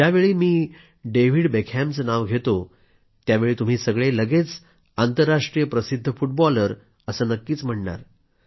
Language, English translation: Marathi, If I now take the name of David Beckham, you will think whether I'm referring to the legendary International Footballer